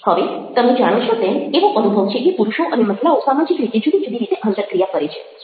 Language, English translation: Gujarati, now you see that there is there is a feeling that men and women interact in different ways socially